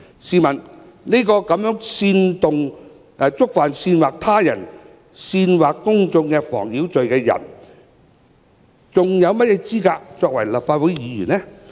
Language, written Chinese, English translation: Cantonese, 試問這樣一個觸犯煽惑他人煽惑公眾妨擾罪的人，還有何資格作為立法會議員呢？, Can a Member who is convicted of the offence of incitement to incite public nuisance still be qualified as a Legislative Council Member?